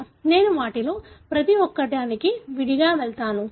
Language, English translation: Telugu, I will go through each one of them separately